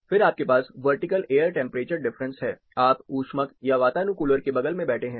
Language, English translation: Hindi, Then you have vertical temperatures difference, you are sitting next to a heater, or an air conditioner